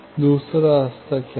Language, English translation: Hindi, What was the second path